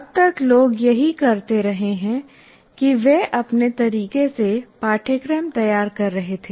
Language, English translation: Hindi, Till now what people have been doing is they are designing the course in their own way